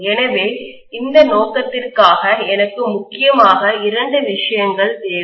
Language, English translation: Tamil, So I need mainly two things for this purpose